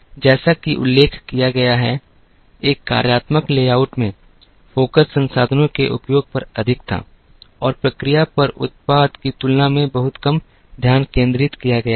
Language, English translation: Hindi, As mentioned, in a functional layout focus was more on utilization of resources and there was little less focus on the product than on the process